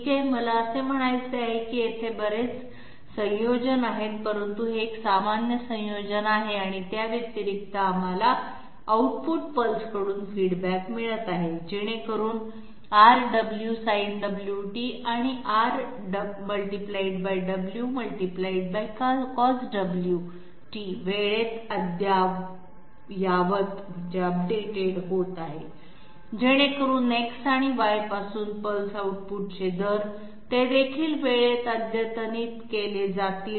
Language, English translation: Marathi, Okay, I mean a lot of combinations are there but this is a typical combination and in addition to that, we are having feedback from the output pulses so that R Omega Sin Omega t and Cos Omega t get updated time so that the rates of the pulse output from the X and Y, they also get updated in time